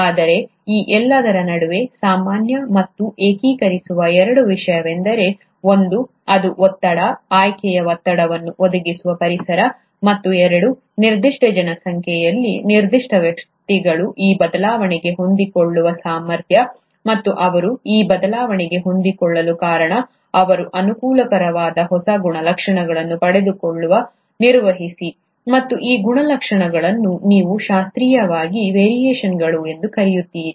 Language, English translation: Kannada, But, thing which remains common and unifying across all this are two; one, it's the environment, which provides that pressure, the selection pressure, and two, it is the ability of a certain individuals in a given population to adapt to that change, and the reason they are able to adapt to that change is because they manage to acquire new characteristics which are favourable, and these characteristics is what you classically call as variations